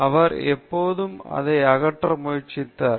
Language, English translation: Tamil, He was always trying to remove it